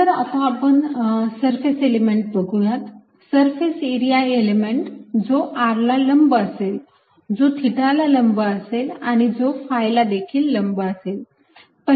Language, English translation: Marathi, next, let's look at surface elements, surface area elements perpendicular to r, perpendicular to theta and perpendicular to phi